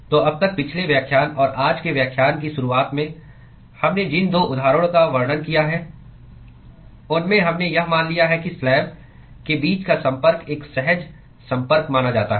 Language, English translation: Hindi, So, so far in all the the couple of examples that we described in the last lecture and start of today’s lecture, we assumed that the contact between the slabs is supposed to be a smooth contact